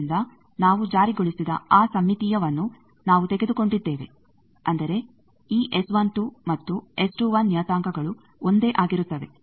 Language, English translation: Kannada, So, we have taken that symmetry we have enforced; that means, this parameter S 12 and S 21 they are same